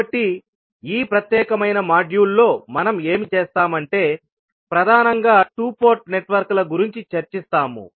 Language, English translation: Telugu, So, what we will do in this particulate module, we will discuss mainly the two port networks